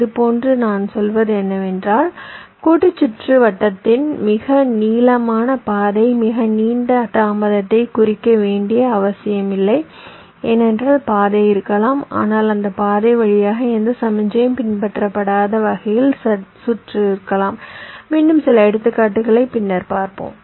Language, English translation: Tamil, now what i am saying is that the longest path in the combinational circuit need not necessarily mean the longest delay, because there are may be path, but the circuit may be such that no signal will follow through that path